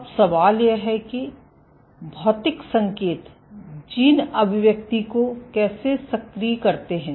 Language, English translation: Hindi, So, the question to ask is, how do physical cues activate gene expression